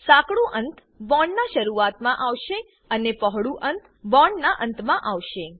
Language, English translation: Gujarati, Narrow end is at the start of the bond and broad end is at the other end